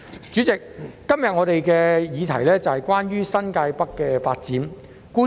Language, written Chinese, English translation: Cantonese, 主席，今天我們的議題是關於新界北的發展。, President our motion is about the development of New Territories North